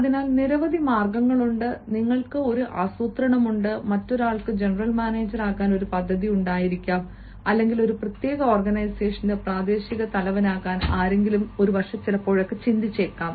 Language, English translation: Malayalam, somebody might have a plan to become the general manager, or somebody might have been thinking of becoming the regional head of a particular organization